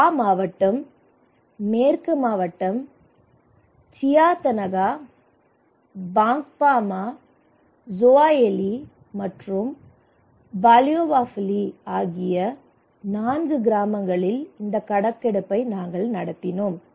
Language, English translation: Tamil, We conducted this survey in four villages in Wa district, West district, Chietanaga, Bankpama, Zowayeli and Baleowafili